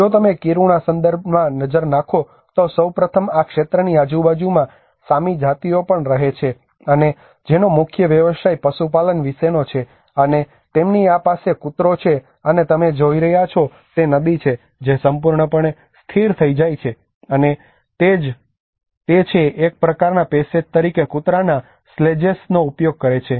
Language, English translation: Gujarati, If you look at the Kiruna context, first of all, there is also Sami tribes lives around this region and whose main occupation is about reindeer herding and they have this dog sledges and what you are seeing is the river which gets frozen completely and it is used the dog sledges uses as a kind of passage